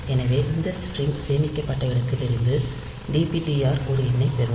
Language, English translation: Tamil, So, dptr will get a number from where this string is stored